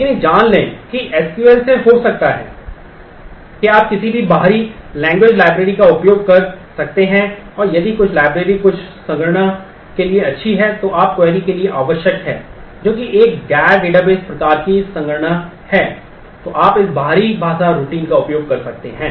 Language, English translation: Hindi, But get to know that there could be as from SQL you can use any external language library; and if some library is good for certain computation which is needed for your query which is a non database kind of computation then you can make use of this external language routines